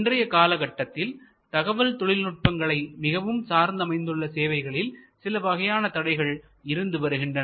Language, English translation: Tamil, There are nowadays some information and communication technology intensive services which have some kind of barrier